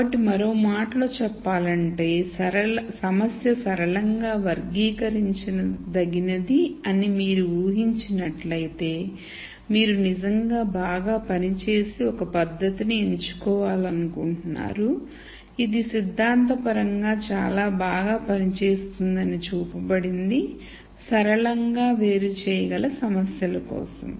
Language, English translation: Telugu, So, in other words let us say if you make the assumption that the problem is linearly classi able, then you really want to pick a technique which will work very well, which has been shown to theoretically work very well, for linearly separable problems